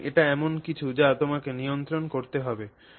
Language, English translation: Bengali, So that is something that you have to control